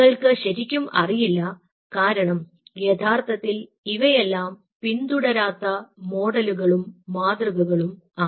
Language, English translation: Malayalam, you really do not know, because these are the models or the paradigms which hasnt been followed